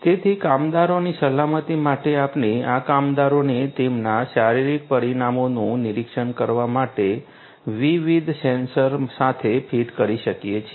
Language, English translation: Gujarati, So, for the water safety we could have these workers fitted with different different sensors for monitoring their you know their physiological parameters